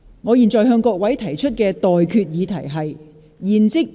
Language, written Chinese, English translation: Cantonese, 我現在向各位提出的待決議題是：現即將辯論中止待續。, I now put the question to you and that is That the debate be now adjourned